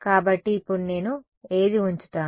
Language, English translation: Telugu, So, now, which I will I put